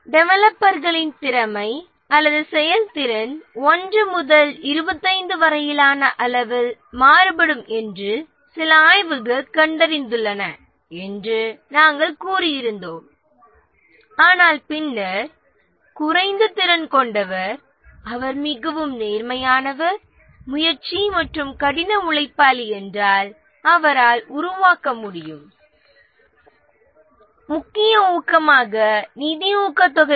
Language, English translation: Tamil, We had said that some studies found that the competency or the effectiveness of the developers varies from a scale of 1 to 25 but then the one who is less competent if he is very sincere motivated and hard worker he can make up for the gap in the competency